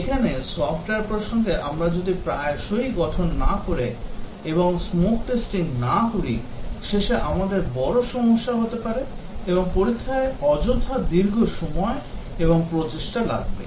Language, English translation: Bengali, Here, in software context unless we do frequent builds and do a smoke test, at the end we might have big problems and testing will take unduly long time and effort